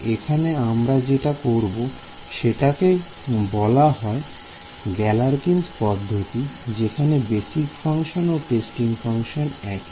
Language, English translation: Bengali, We are going to do what is called Galerkin’s method, where the basis functions and the testing function are the same right ok